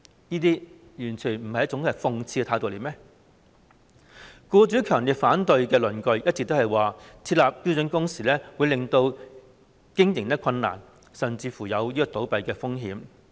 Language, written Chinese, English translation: Cantonese, 僱主強烈反對設立標準工時的論據，一直都是有關政策會令企業經營困難，甚至有倒閉的風險。, Employers strongly oppose the arguments for introducing standard working hours by saying that the relevant policies will make it difficult for the businesses to operate and may even cause their closure